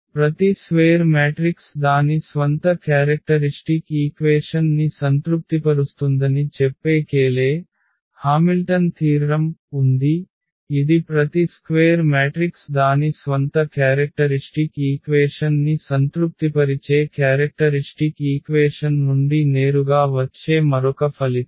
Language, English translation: Telugu, So, there is a Cayley Hamilton theorem which says that every square matrix satisfy its own characteristic equation, that is another result which directly coming from the characteristic equation that every square matrix satisfies its own characteristic equation